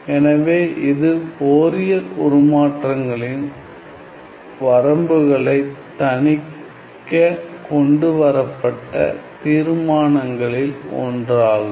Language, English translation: Tamil, So, let me just you know highlight some of the limitations of Fourier transforms